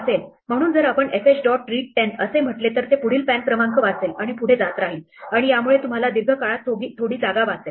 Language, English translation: Marathi, So, if we say fh dot read 10, it will read the next pan number and keep going and this will save you some space in the long run